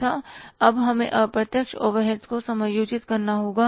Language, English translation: Hindi, And now we will have to adjust the indirect overheads